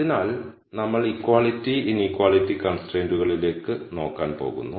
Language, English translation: Malayalam, So we going to look at both equality and inequality constraints